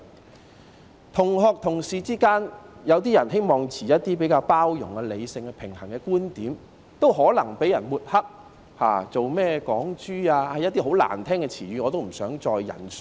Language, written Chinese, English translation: Cantonese, 在同學、同事之間，有些人希望抱持比較包容、理性、平衡的觀點，亦可能被抹黑為"港豬"等十分難聽的名號，我也不想再引述。, In the circles of classmates and colleagues people who wish to take a more tolerant rational and balanced view may be bad - mouthed and called derogatory names such as Hong Kong pigs and I do not wish to cite any more of such names here